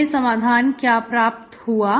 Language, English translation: Hindi, What is the solution